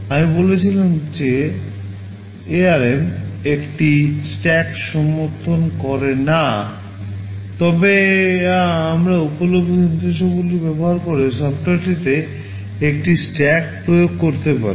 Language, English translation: Bengali, I said ARM does not support a stack, but we can implement a stack in software using available instructions